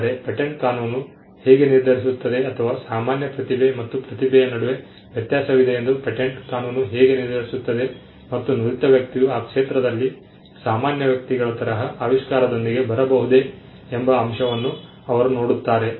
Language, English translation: Kannada, So, how does patent law decide or how does patent law determine that there is a difference between normal talent and that of a genius they nearly look at the fact whether a skilled person who is an ordinary person in that field could have come up with the invention